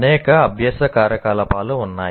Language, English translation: Telugu, So there are a whole lot of learning activities